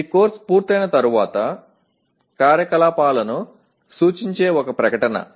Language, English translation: Telugu, This is a statement that represents activities after the course is finished